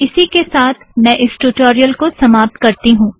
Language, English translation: Hindi, So with this, I come to the end of this tutorial